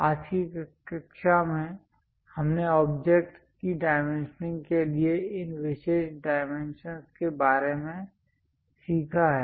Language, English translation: Hindi, In today's class we have learnt about these special dimensions for dimensioning of objects